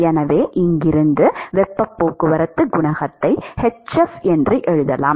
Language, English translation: Tamil, So, that is the definition for heat transport coefficient